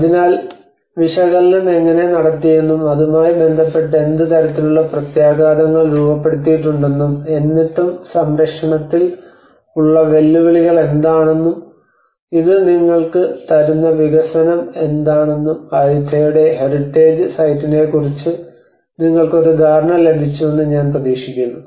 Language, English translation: Malayalam, So I hope you got an idea of one of the heritage site of Ayutthaya how the analysis has been carried out and with that what kind of implications has been framed out and still what are the challenges we have in conservation and the development this will give you an idea